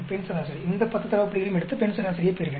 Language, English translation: Tamil, Female average; I will take all these 10 data points and get the female average